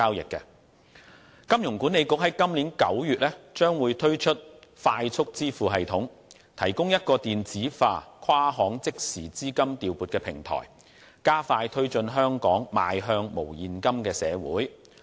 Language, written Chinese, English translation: Cantonese, 香港金融管理局在今年9月將會推出"快速支付系統"，提供一個電子化跨行即時資金調撥平台，加快推進香港邁向無現金的社會。, The Hong Kong Monetary Authority HKMA will launch a Faster Payment System FPS in September this year which provides an inter - bank real - time electronic fund transfer platform to accelerate Hong Kongs progress towards a cashless society